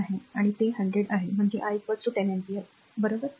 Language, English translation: Marathi, 1 and it is 100 so, i is equal to 10 ampere, right